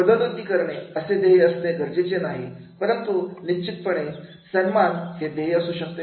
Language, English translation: Marathi, Goal may not be necessarily promotion but definitely a recognition can be a goal